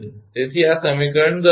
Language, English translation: Gujarati, So, this is equation 10